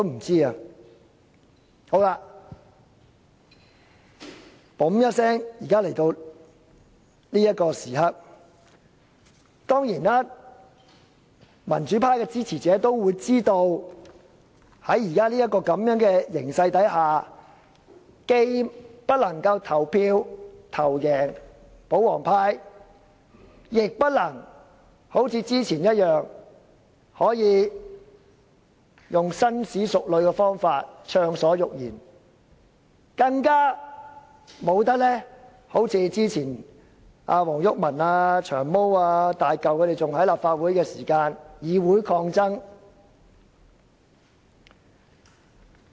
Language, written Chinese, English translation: Cantonese, 轉眼來到這個時刻，民主派的支持者當然知道在現時的形勢下，票數既不夠保皇派多，亦不能好像之前一般，以紳士淑女的方式暢所欲言，更不能一如前議員黃毓民、"長毛"、"大嚿"仍服務立法會的時候那樣，進行議會抗爭。, Our deliberation has reached the current stage with a blink of an eye and supporters of the pro - democracy camp of course understand very well that under present circumstances we do not have as many votes as the royalist camp . Moreover it is not possible for us to follow the practice of expressing our views freely like those ladies and gentlemen did in the past or stage confrontation in the legislature like former Members WONG Yuk - man Long Hair and Hulk